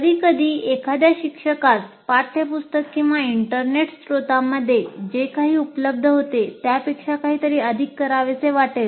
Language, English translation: Marathi, And sometimes a teacher may want to do something more than what is available in a textbook or internet source